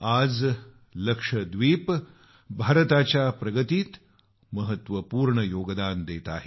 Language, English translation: Marathi, Today, Lakshadweep is contributing significantly in India's progress